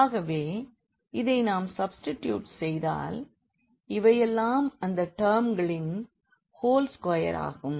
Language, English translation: Tamil, So, if we if we substitute this now so, these are the whole square of these terms